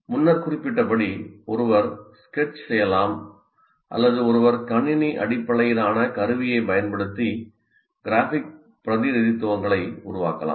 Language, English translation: Tamil, As I said, one can sketch or one can use a computer based tool to create your graphic representations